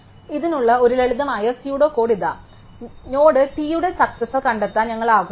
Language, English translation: Malayalam, So, here is a simple pseudo code for this, so we want to find the successor of node t